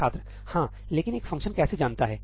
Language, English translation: Hindi, Yeah, but how does a function know